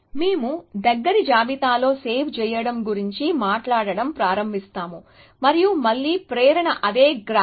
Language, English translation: Telugu, So, we will begin with talking about saving on close list and again, the motivation is the same graph